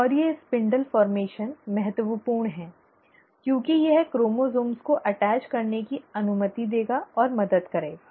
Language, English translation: Hindi, And these spindle formation is important because it will allow and help the chromosomes to attach